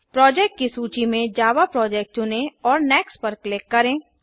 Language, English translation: Hindi, click File, New and select Project In the list of project select Java Project and click Next